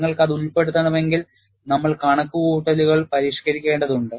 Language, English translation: Malayalam, If you want to include that, what way we will have to modify the calculations